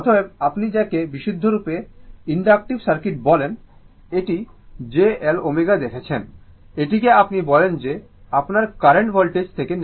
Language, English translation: Bengali, Therefore, let because what you call for purely inductive circuit, we have seen it is j L omega right, that your what you call that your current lags 90 degree from the voltage right